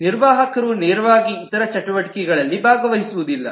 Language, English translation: Kannada, Administrator will not directly take part in the other activities